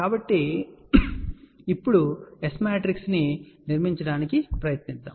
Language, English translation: Telugu, So, now, let us try to build the S matrix here